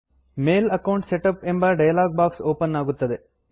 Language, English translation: Kannada, The Mail Account Setup dialogue box opens